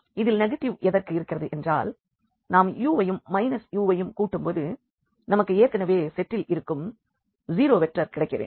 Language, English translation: Tamil, So, this is just a notation here minus u the negative of u such that when we add this u and this negative of u we must get the zero vector which already exists there in the set